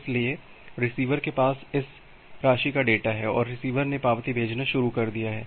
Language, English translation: Hindi, So, the receiver has this amount of data and the receiver has started sending the acknowledgement